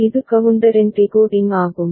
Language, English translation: Tamil, And this is the decoding of the counter